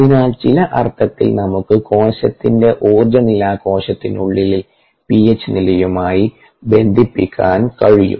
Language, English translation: Malayalam, so you, in some sense we can link the energy status of the cell to the intercellular p h level